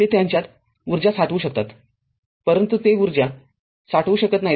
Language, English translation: Marathi, They you can store energy in them, but they cannot store energy